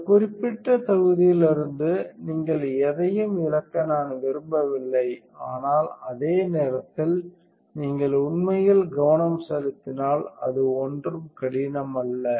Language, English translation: Tamil, So, I do not want you to miss anything out of this particular module, but at the same time it is not that difficult also if you really focus right